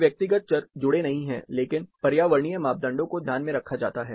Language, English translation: Hindi, No personal variables are associated, but environmental parameters are taken into consideration